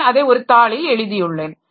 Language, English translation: Tamil, I have written it on a piece of paper